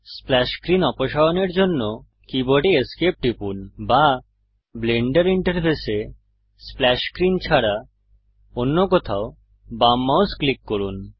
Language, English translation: Bengali, To remove the splash screen, press ESC on your keyboard or left click mouse anywhere on the Blender interface other than splash screen